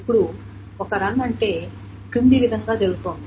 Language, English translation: Telugu, Now, what is a run is the following way it is being done